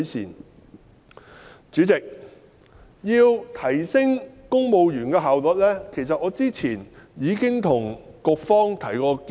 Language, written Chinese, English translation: Cantonese, 代理主席，關於提升公務員的效率，其實我早前已就此向局方提出建議。, Deputy President regarding the enhancement of efficiency of civil servants in actuality I have previously already made suggestions to the Bureau